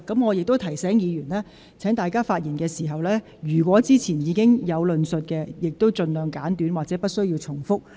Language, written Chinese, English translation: Cantonese, 我亦提醒議員，在發言時，若有關論點先前已有論述，請盡量簡短說明及不要重複。, I would also like to remind Members that they should try to be brief and avoid making repetitions when elaborating on arguments that have previously been put forward